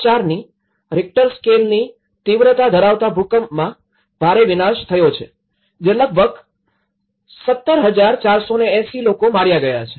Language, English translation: Gujarati, 4 Richter scale earthquake which has killed almost 17,480 people